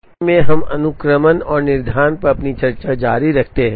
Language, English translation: Hindi, In the lecture, we continue our discussion on Sequencing and Scheduling